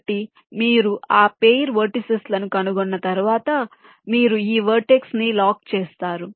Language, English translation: Telugu, ok, so once you find that pair of vertices, you lock this vertice